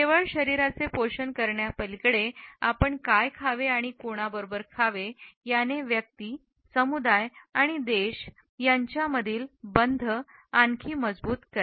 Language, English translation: Marathi, Beyond merely nourishing the body, what we eat and with whom we eat can inspire and strengthen the bonds between individuals, communities and even countries”